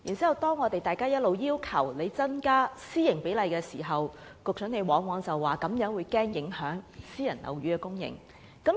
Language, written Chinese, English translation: Cantonese, 每當我們要求政府調整此比例時，局長往往推說恐怕會影響私營樓宇的供應。, Whenever a request is made to the Government for adjusting this supply ratio the Secretary would refuse and say that this could have an adverse impact on private housing supply